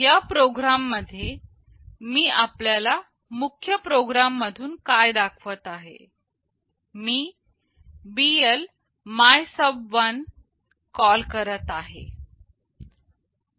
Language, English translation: Marathi, In this program what I am illustrating from my main program, I am making a call BL MYSUB1